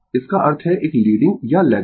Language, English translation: Hindi, It mean is a leading or lagging, right